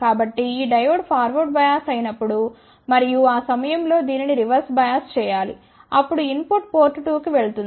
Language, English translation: Telugu, So, when this diode is forward bias and at that time this should be reversed bias then input will go to the port 2